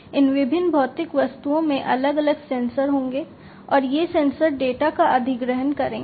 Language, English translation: Hindi, So, these different physical objects will have different sensors, and these sensors will acquire the data